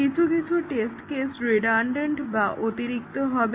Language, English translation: Bengali, Some test cases are redundant